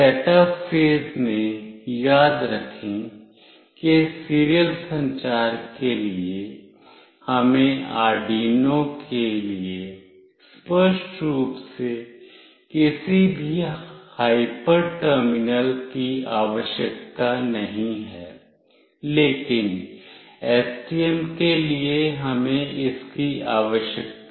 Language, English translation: Hindi, In the setup phase recall that for serial communication, we do not require explicitly any hyper terminal for Arduino, but for STM we require that